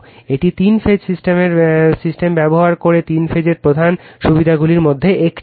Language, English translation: Bengali, This is one of the main advantages of three phase using three phase system right